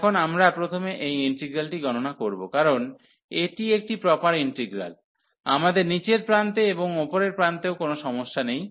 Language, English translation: Bengali, Now, we will evaluate first this integral, because it is a proper integral we have no problem at the lower end and also at the upper end